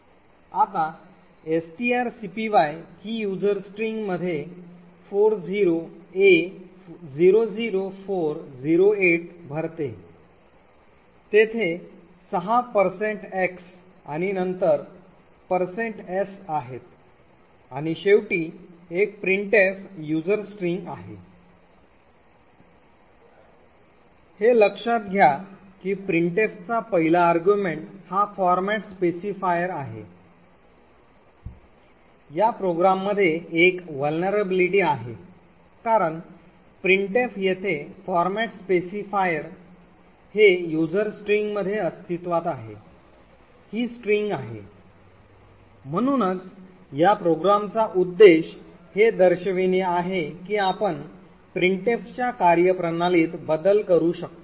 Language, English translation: Marathi, Now this string copy now fills in user string with 40a00408 there are six %x’s and then a %s and finally there is a printf user string, note that the first argument to printf is a format specifier, there is a vulnerability in this program because the printf which is specified here the format specifier is essentially this string present in user string, so the objective of this program is to demonstrate that we could manipulate the way printf works